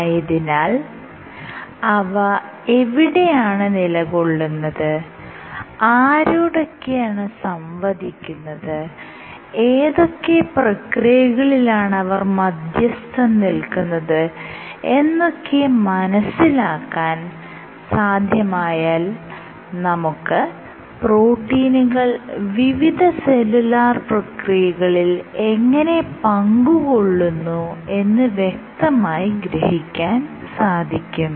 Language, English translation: Malayalam, So, where they exist, where are they localized, with whom do they interact and what processes they mediate are all important to reconstruct our picture of how these proteins might be participating in various cellular processes ok